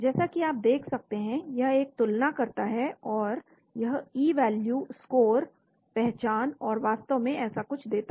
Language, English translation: Hindi, So as you can see it makes a comparison it gives something called E value, score, identity, and so on actually